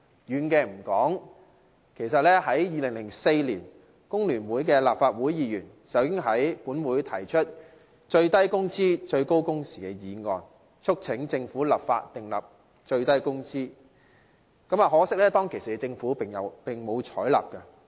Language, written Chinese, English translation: Cantonese, 遠的暫且不說，在2004年，工聯會的立法會議員已在本會提出"最低工資、最高工時"議案，促請政府立法訂定最低工資，可惜當時政府並無採納。, Let us not go too far back in history Members of FTU proposed a Minimum wage maximum working hours motion in this Council in 2004 urging the Government to legislate for a minimum wage which was unfortunately not adopted by the Government at the time